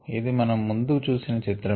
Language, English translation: Telugu, this we have already seen